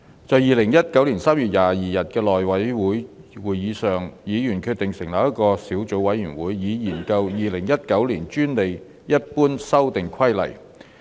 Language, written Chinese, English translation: Cantonese, 在2019年3月22日的內務委員會會議上，議員決定成立一個小組委員會，以研究《2019年專利規則》。, At the meeting of the House Committee on 22 March 2019 Members agreed to set up a Subcommittee to study the Patents General Amendment Rules 2019